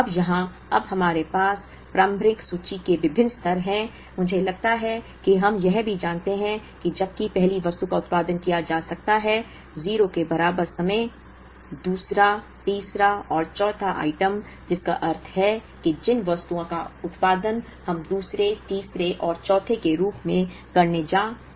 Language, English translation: Hindi, Now, here we now have different levels of initial inventory, I think we also know that, while the first item can be produced at time equal to 0, the second, third and fourth items, which means the items that we are going to produce as second, third and fourth